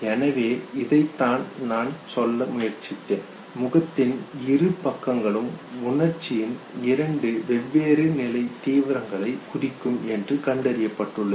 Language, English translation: Tamil, So this is what I was trying to say, that the two sides of the face have also been found to represent two different level of intensity of emotion